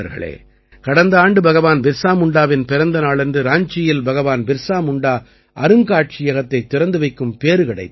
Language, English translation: Tamil, Friends, Last year on the occasion of the birth anniversary of Bhagwan Birsa Munda, I had the privilege of inaugurating the Bhagwan Birsa Munda Museum in Ranchi